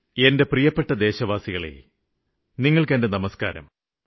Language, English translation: Malayalam, My dear countrymen, greetings to all of you